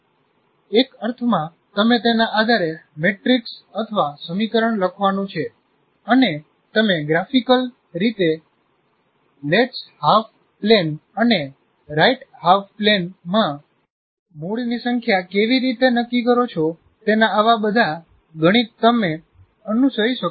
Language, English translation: Gujarati, In the sense, he can follow based on that how the matrix are the equation to be written and how do you graphically determine the number of roots in the left half plane and right half plane